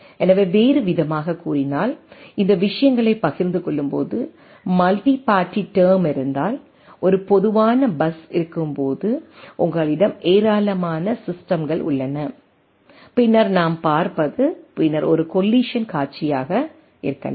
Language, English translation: Tamil, So, in other sense, if there are multi party term which is which may be a case when we share a things like this right, when there is a common bus you have number of systems then what we see then that may be a scenario of collision right